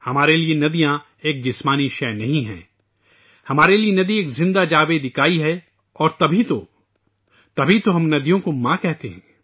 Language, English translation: Urdu, For us, rivers are not mere physical entities; for us a river is a living unit…and that is exactly why we refer to rivers as Mother